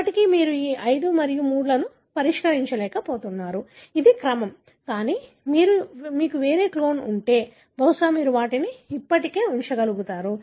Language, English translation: Telugu, Still you are unable to solve this 5 and 3, which is the order, but if you have had some other clone, probably you will be able to still place them